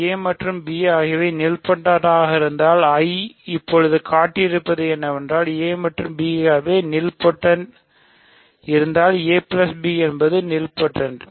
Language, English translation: Tamil, So, if a and b are nilpotent, what I have just shown is, if a and b are nilpotent that means, a plus b is nilpotent ok